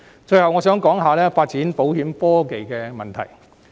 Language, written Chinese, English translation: Cantonese, 最後，我想談發展保險科技的問題。, Lastly I would like to talk about issues related to the development of insurance technology